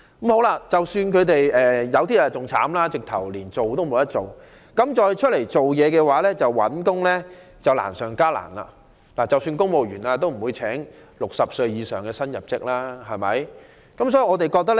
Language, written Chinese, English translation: Cantonese, 更不幸的是有些人連這些機會也沒有，要在市場上重新求職則難上加難，即使是公務員職系也不會聘請60歲以上的人士為新入職員工。, More unfortunately some people do not even have such opportunities . It is hugely difficult to seek employment again in the labour market . Even civil service grades will not employ people aged 60 or above as new recruits